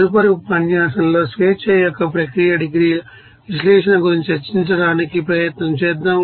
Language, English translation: Telugu, In the next lecture will try to discuss about the analysis of process degrees of freedom